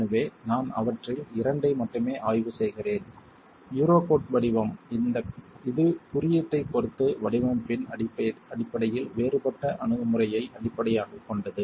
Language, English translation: Tamil, So, I'm just examining couple of them, the Eurocode format, which is of course based on a different approach in terms of design with respect to the IS code